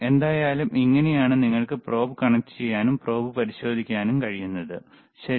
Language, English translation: Malayalam, So, so anyway, this is how you can connect the probe and test the probe, all right